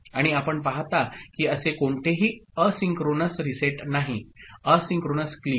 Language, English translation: Marathi, And, you see that there is no asynchronous reset as such asynchronous clear